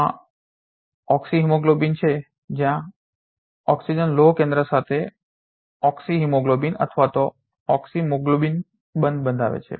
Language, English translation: Gujarati, There is oxyhemoglobin where oxygen is bound with the iron center to give oxyhemoglobin or oxymyoglobin